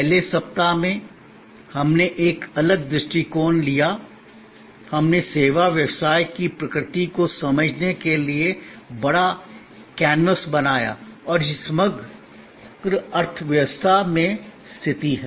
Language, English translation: Hindi, In the first week, we took a divergent view, we created the big canvas to understand the nature of the service business and it is position in the overall economy